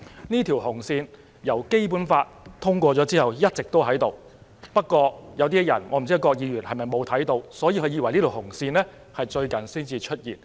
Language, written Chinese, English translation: Cantonese, "這條"紅線"由《基本法》通過已一直存在，不過有一些人——可能包括郭議員——以為這條"紅線"最近才出現。, This red line has existed since the endorsement of the Basic Law only that some people―Mr KWOK may be included―think that this red line only appears recently